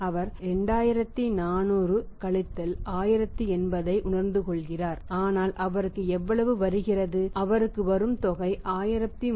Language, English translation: Tamil, He is realising 2400 1080 so how much is come it is coming to him, amount coming to him is that is 1320 this amount is coming to him